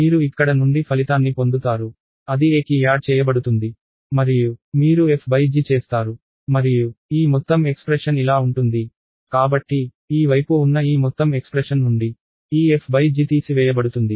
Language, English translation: Telugu, So, you will have a result from here that will be added to a and you do f by g and this whole expression will be… So, this f by g will be subtracted from this whole expression on this side